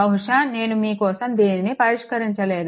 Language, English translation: Telugu, Probably, I have not solve it for you